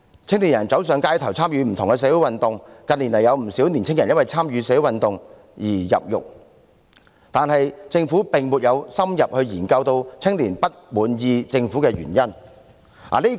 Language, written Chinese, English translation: Cantonese, 青年人走上街頭，參與不同的社會運動，近年更有不少青年人因為參與社會運動而入獄，但政府並沒有深入研究青年不滿意政府的原因。, Young people have taken to the streets to take part in various social movements . In recent years quite a number of young people were sentenced to imprisonment for participation in social movements but the Government has not explored in depth the reasons for young peoples discontent with the Government